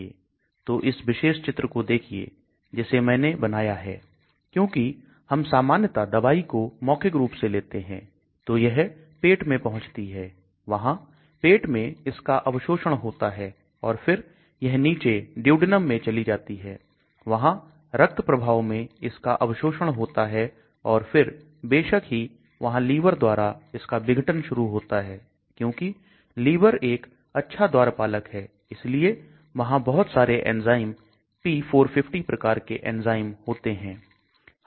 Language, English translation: Hindi, So let us look at this particular figure which I have drawn, so generally we take a drugs orally so it reaches the stomach, there is an absorption in the stomach and then as it goes down in the duodenum there is absorption inside into the blood stream and of course the liver is there which starts degrading because liver is a wonderful gatekeeper so there are many enzymes p450 types of enzymes